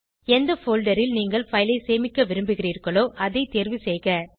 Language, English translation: Tamil, Open the folder in which you want the file to be saved